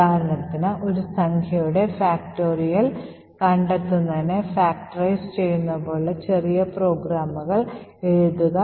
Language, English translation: Malayalam, For example, to write small programs such as like factorizing a number of finding the factorial of a number, thank you